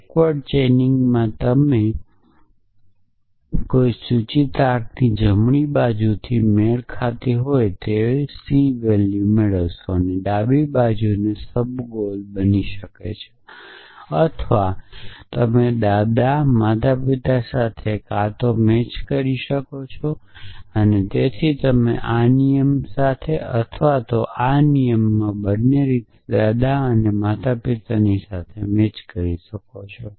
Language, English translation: Gujarati, So, in backward chaining you match with right hand side of an implication and c is the left hand side can become a subgoel or you can match either with grandparent So, you can match either with this rule or with this rule in both cases grandparent will match